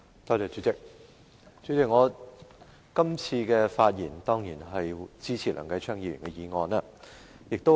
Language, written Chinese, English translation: Cantonese, 代理主席，我今次的發言當然是支持梁繼昌議員的議案。, Deputy President it is certain that I speak today in support of Mr Kenneth LEUNGs motion